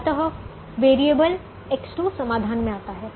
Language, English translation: Hindi, so variable x two comes into the solution